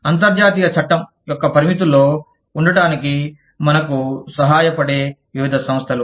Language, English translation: Telugu, Various organizations, that help us, stay within the confines of, international law